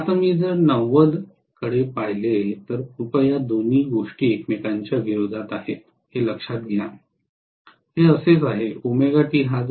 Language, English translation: Marathi, Now, if I look at 90, please note both these things are exactly opposing each other